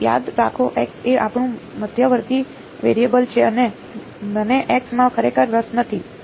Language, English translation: Gujarati, But remember x is our intermediate variable I am not really interested in x